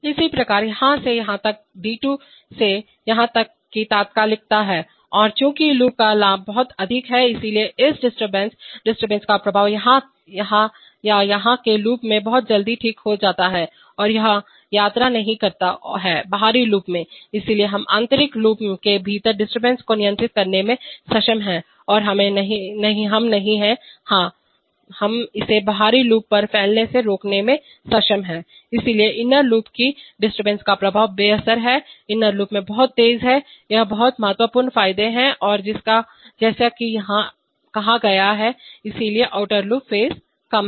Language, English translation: Hindi, Similarly from here to here is from d2 to the here is immediate and since this loop has very high gain, so therefore this disturbance, the affect of, disturbance either here or here gets very quickly corrected in the inner loop itself and it does not travel to the outer loop, so we have been able to contain the disturbance within the inner loop and we are not, yes, we are we are able to stop it from spilling over to the outer loop, so the effects of inner loop disturbances are neutralized very fast in the inner loop, these are very significant advantages and as is said here, so the outer loop phase is low